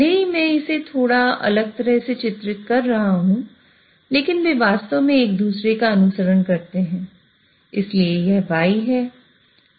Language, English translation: Hindi, Even though I'm drawing it slightly differently, what I mean is they exactly follow each other